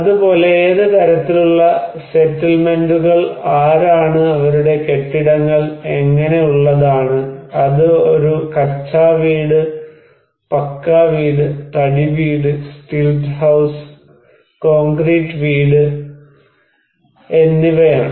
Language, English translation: Malayalam, Also, it matters that what kind of settlements, who are, how their buildings are there, it is a kutcha house, pucca house, wooden house, stilt house, concrete house